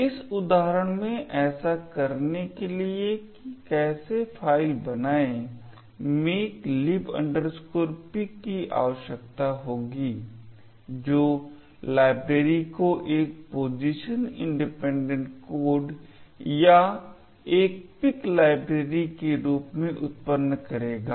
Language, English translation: Hindi, So, in order to do this in this example how a makefile would require makelib pic which would generate the library as a position independent code library or a pic library